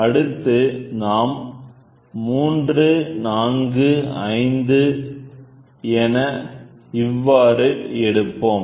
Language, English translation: Tamil, So, it then it is 3, 4, 5 something like this